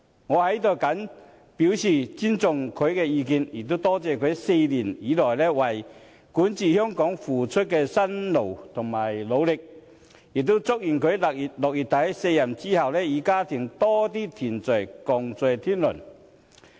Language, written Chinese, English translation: Cantonese, 我在此謹表示尊重他的意願，也多謝他4年以來為管治香港付出的辛勞和努力，亦祝願他在6月底卸任之後，與家人多些團聚、共聚天倫。, Here I wish to express my respect for his decision and I thank him for his hard work and efforts made over the past four years on governing Hong Kong . May I also wish him to have more happy and close time with his family after he leaves office in end of June